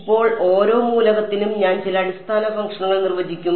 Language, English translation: Malayalam, Now, for each element I will define some kind of basis functions ok